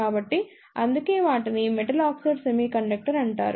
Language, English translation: Telugu, So, that is why they are known as Metal Oxide Semiconductor